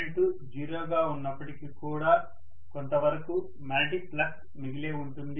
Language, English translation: Telugu, Even when the current is 0, I will still have some amount of magnetic flux left over, that is remaining